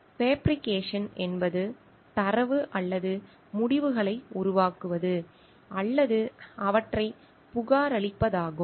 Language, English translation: Tamil, Fabrication is making up data or results or reporting them